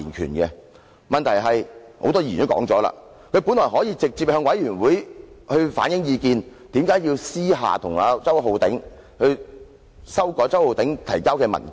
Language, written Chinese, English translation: Cantonese, 很多議員都發表了意見，問題是他本來可以直接向專責委員會反映意見，為何要私下找周浩鼎議員，修改其提交的文件？, Many Members have expressed their views but the question is he could have directly reflected his views to the Select Committee why did he contact Mr Holden CHOW in private and amend the document to be submitted by him?